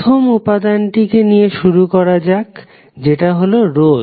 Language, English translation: Bengali, So let start with the first element called resistor